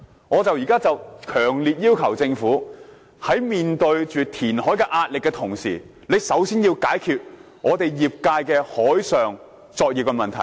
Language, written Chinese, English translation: Cantonese, 我現在強烈要求政府，在面對填海壓力的同時，先要解決業界的海上作業問題。, With the Government now under pressure for land reclamation I strongly request the Government to first address the marine operation need of the fisheries industry